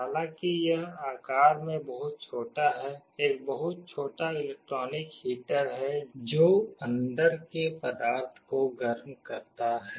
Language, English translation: Hindi, Although it is very small in size, there is a very small electric heater that heats up the material inside